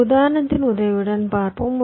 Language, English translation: Tamil, i will illustrate with this